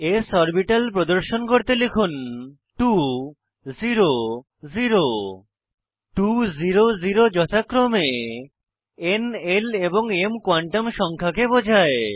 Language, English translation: Bengali, type 2 0 0 The Numbers 2, 0, 0 represent n, l and m quantum numbers respectively